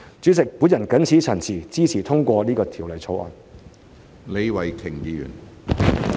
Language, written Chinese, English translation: Cantonese, 主席，我謹此陳辭，支持通過《條例草案》。, President with these remarks I support the passage of the Bill